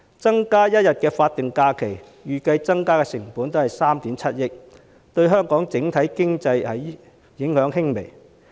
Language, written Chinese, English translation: Cantonese, 增加1天法定假日，預計增加的成本只有3億 7,000 萬元，對香港的整體經濟影響輕微。, As the estimated cost for one additional statutory holiday is only 0.37 billion the effect on the economy of Hong Kong is minimal